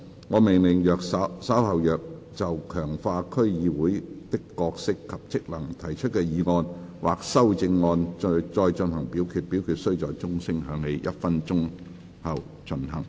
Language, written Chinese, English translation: Cantonese, 我命令若稍後就"強化區議會的角色及職能"所提出的議案或修正案再進行點名表決，表決須在鐘聲響起1分鐘後進行。, I order that in the event of further divisions being claimed in respect of the motion on Strengthening the role and functions of District Councils or any amendments thereto this Council do proceed to each of such divisions immediately after the division bell has been rung for one minute